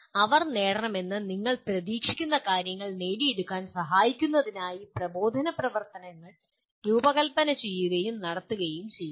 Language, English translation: Malayalam, And instructional activities are designed and conducted to facilitate them to acquire what they are expected to achieve